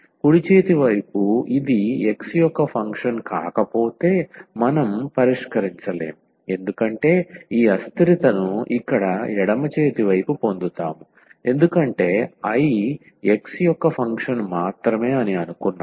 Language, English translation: Telugu, The right hand side, if this is not a function of x then we cannot solve because we will get this inconsistency here the left hand side because we have assumed that I is a function of x alone